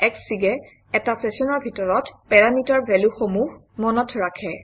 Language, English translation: Assamese, Within a session, Xfig remembers the parameter values